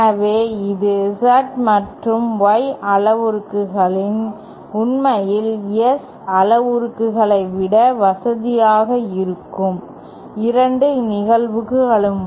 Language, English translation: Tamil, So, this was the 2 cases where Z and Y parameters might actually be more convenient than the S parameters